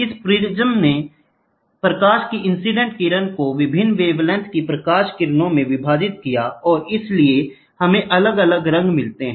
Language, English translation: Hindi, This prism split the incident light into light rays of different wavelengths and hence, therefore we get different colors